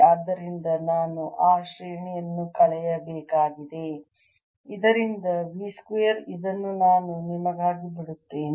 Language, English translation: Kannada, so i have to subtract that grad of v square from this and this i'll leave for you should check this